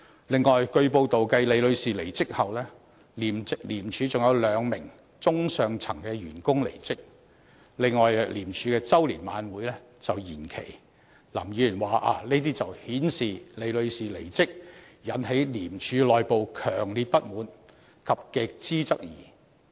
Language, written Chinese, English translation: Cantonese, 此外，據報道，繼李女士離職後，廉署還有兩名中高層員工離職，而廉署的周年晚宴也延期舉行，林議員說這些情況是反映出李女士離職引起廉署內部強烈不滿及極度質疑。, In addition it has been reported that following the resignation of Ms LI two upper - middle level officers of ICAC also left their posts and the annual dinner of ICAC was postponed . According to Mr LAM all these can show the strong dissatisfaction and grave queries in ICAC arising from the departure of Ms LI